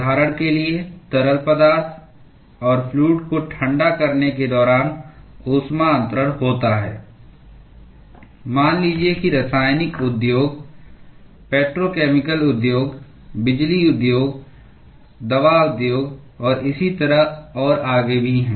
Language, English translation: Hindi, For example, heat transfer occurs during cooling of fluids and liquids in let us say chemical industries, in petrochemical industries, in power industries, in pharmaceutical industries, and so on and so forth